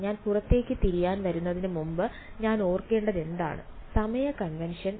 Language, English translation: Malayalam, Before I came to outward wave what would I have to remember, time convention